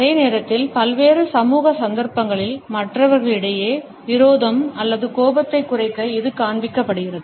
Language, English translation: Tamil, At the same time you would find that on various social occasions, it is displayed to lower the hostility or rancor in other people